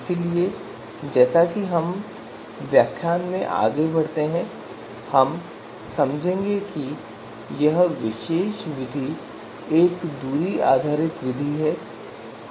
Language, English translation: Hindi, So as you would understand as we go along this lecture that this particular method TOPSIS is a distance based method